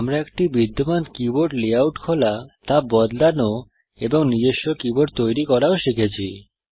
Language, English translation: Bengali, We also learnt to open an existing keyboard layout, modify it, and create our own keyboard